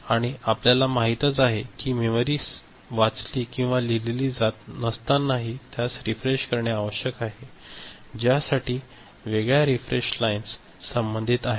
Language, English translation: Marathi, Of course, as we have noted even when the memory is not read or written into, it need to be refreshed for which a separate refresh lines are you know associated